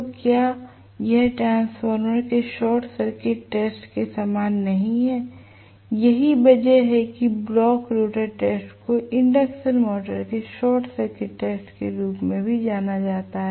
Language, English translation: Hindi, So, is not it very similar to the short circuit test of a transformer that is why the block rotor test is also known as short circuit test of the induction motor